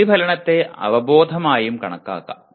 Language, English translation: Malayalam, Reflection can also be considered as awareness